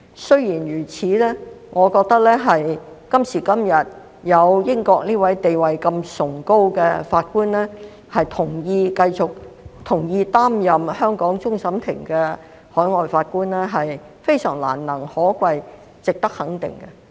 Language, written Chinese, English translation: Cantonese, 雖然如此，我覺得今時今日有這名地位如此崇高的英國法官同意擔任香港終審法院的海外法官是非常難能可貴，值得肯定的。, Nevertheless I find it commendable and worthy of recognition that this British judge with such a high status agreed to serve as overseas judge of CFA in the present - day situation